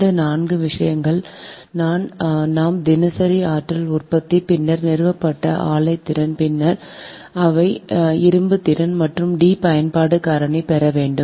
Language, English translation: Tamil, this four things we have to obtain daily energy produced, then installed capacity of plant, then reserve capacity of plant and d utilization factor right